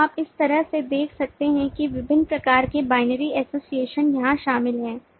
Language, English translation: Hindi, so you could see in this way that different kinds of binary association are involved here